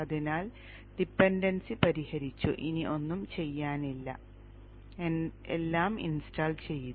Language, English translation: Malayalam, So, dependence is resolved, nothing to do, everything has been installed